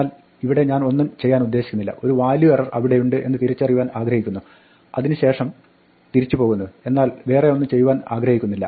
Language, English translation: Malayalam, But here I want to do nothing, I want to recognize there is a value error and then go back here that is fine, but I do not want to do anything else